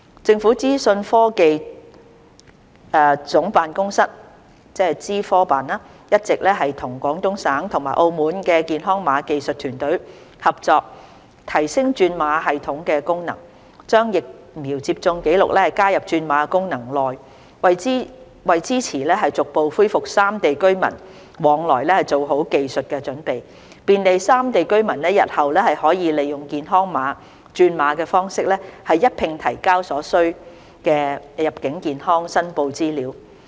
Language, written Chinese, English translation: Cantonese, 政府資訊科技總監辦公室一直亦與廣東省和澳門的健康碼技術團隊合作提升轉碼系統的功能，將疫苗接種紀錄加入轉碼功能內，為支持逐步恢復三地居民往來做好技術準備，便利三地居民日後可利用"健康碼"轉碼方式一併提交所需的入境健康申報資料。, The Office of the Government Chief Information Officer OGCIO has been collaborating with the Health Code technical teams of Guangdong Province and Macao on enhancement of the code conversion system with a view to incorporating the vaccination records into the code conversion function and making technical preparations for the gradual resumption of cross - boundary travels among the three places . Citizens of the three places can make use of the health code conversion system to submit the required information in one go for health declaration purpose